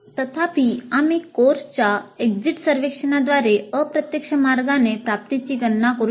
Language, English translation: Marathi, However, we can also compute the attainment in an indirect way through course exit survey